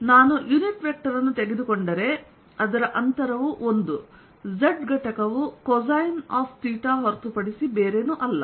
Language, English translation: Kannada, if i take the unit vector, its distance is one is z component is nothing but cosine of theta